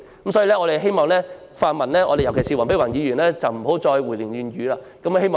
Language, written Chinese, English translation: Cantonese, 我們希望泛民，尤其是黃碧雲議員不要再胡言亂語。, We hope that pan - democratic Members especially Dr Helena WONG will not talk nonsense anymore